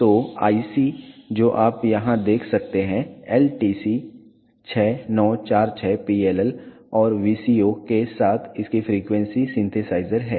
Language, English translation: Hindi, So, the IC that you can see here is LTC 6946 its frequency synthesizer along with PLL and VCO